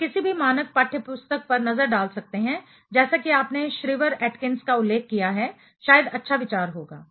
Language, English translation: Hindi, You can take a look at any standard textbook as you mentioned Shriver Atkins perhaps would be a good idea